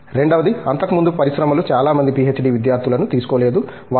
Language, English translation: Telugu, Second is, earlier the industry never used to really take a number of PhD students, they say B